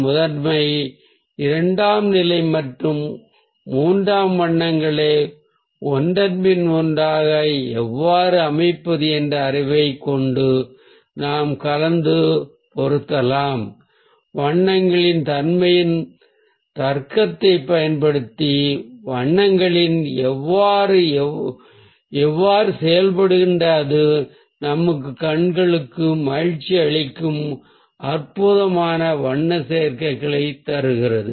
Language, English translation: Tamil, so with the knowledge of arrangement, of how to place the primary, secondary and tertiary colours one after another, we can ah, mix and match and by using the logic of the nature of the colours, how the colours behave, how they ah act together, we can get amazing ah colour combinations which are pleasing for our eyes